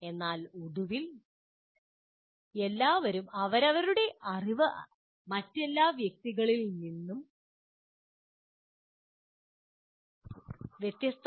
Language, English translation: Malayalam, But finally, your own knowledge, everybody's knowledge is different from somebody else, other person